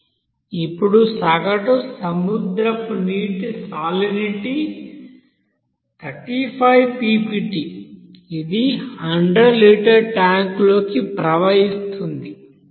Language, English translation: Telugu, Now the average here ocean water of salinity is 35 ppt that flows into a 100 liter of tank that containing 1